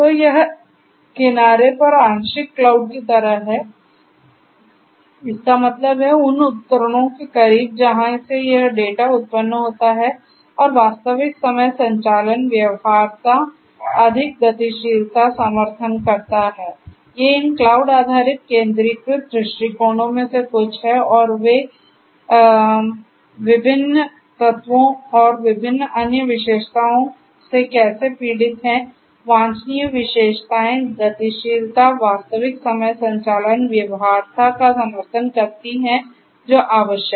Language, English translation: Hindi, So, it is sort of like cloud, partial cloud at the edge; that means, closer to closer to the devices from where this data are generated and real time operations feasibility greater mobility support, these are some of these cloud based all centralized approaches and how they suffer from these different you know these different elements and the different other characteristics, the desirable characteristics mobility support operations real time operations feasibility those are required and so on